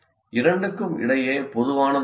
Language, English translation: Tamil, What is it that is common between the two